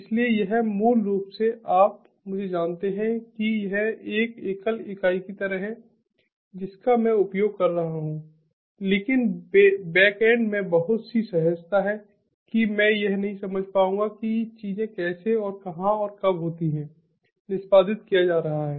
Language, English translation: Hindi, so this is basically, you know, to me it is like a single entity which i am using, but in the back end there is so much of seamlessness that is there that i would not be able to understand that how and where and when things are getting executed